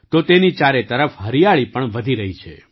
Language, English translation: Gujarati, At the same time, greenery is also increasing around them